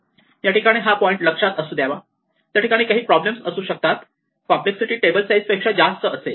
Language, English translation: Marathi, So, it is this is some point to keep in mind that there could be problems, where the complexity is bigger than the table size